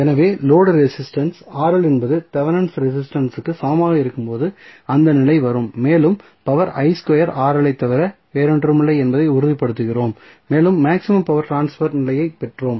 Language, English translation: Tamil, So, that condition comes when Rl that is the load resistance is equal to Thevenin resistance and we stabilize that the power is nothing but I square Rl and we derived the maximum power transfer condition